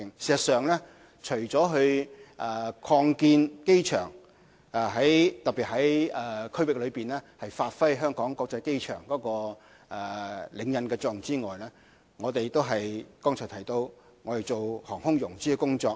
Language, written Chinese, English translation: Cantonese, 事實上，除了擴建機場，特別在區域內發揮香港國際機場的領引作用之外，剛才亦提到我們做航空融資的工作。, In fact apart from expanding the Hong Kong International Airport especially to the effect of establishing it as the leading airport in the region we will also develop aviation financing which I have mentioned just now